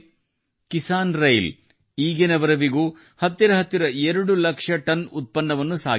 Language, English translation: Kannada, The Kisan Rail has so far transported nearly 2 lakh tonnes of produce